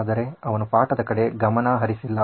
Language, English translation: Kannada, But he is not focused on the class